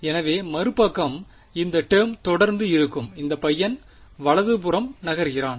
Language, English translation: Tamil, So, the other side this term will continue to be there and this guy moves to the right hand side